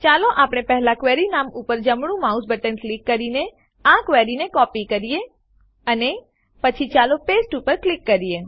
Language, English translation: Gujarati, Let us first copy this query, by right clicking on the query name, and then let us click on paste